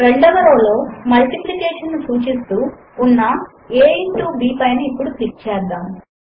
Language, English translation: Telugu, Let us click on a into b in the second row denoting multiplication